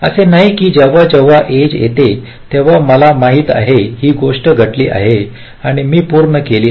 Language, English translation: Marathi, it is not that whenever the edge comes, i know that the think as happen and i am done